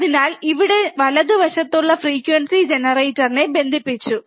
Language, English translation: Malayalam, So, we have just connected the frequency generator which is here on my, right side, right